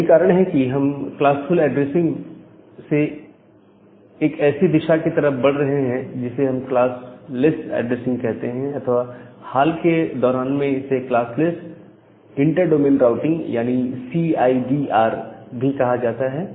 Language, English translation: Hindi, So, that is why from this classful addressing we are moving towards a direction which we call as the classless addressing or it is recently called as classless inter domain routing or CIDR